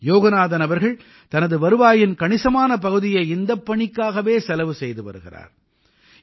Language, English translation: Tamil, Yoganathanji has been spending a big chunk of his salary towards this work